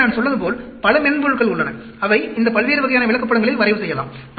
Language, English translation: Tamil, So, there are many soft wares as I said, which can plot these various types of charts